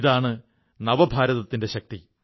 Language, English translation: Malayalam, This is the power of New India